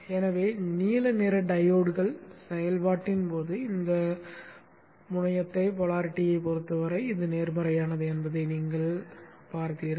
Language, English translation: Tamil, So you saw that when the blue colored diodes are conducting this is positive with respect to this terminal